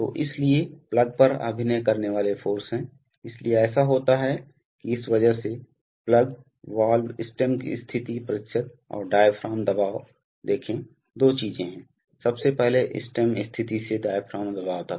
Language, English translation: Hindi, So there is a, so there are forces acting on the plug, so what happens is that because of this, the plug, the valve stem position percent and the diaphragm pressure, see, there are two things, firstly diaphragm pressure to stem position